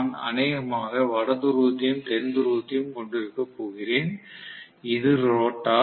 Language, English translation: Tamil, I am probably going to have North Pole and South Pole; this is the rotor right